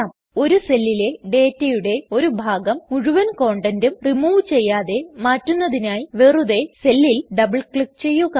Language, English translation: Malayalam, In order to change a part of the data in a cell, without removing all of the contents, just double click on the cell